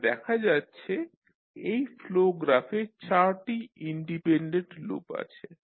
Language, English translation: Bengali, So you see in this particular signal flow graph we have four independent loops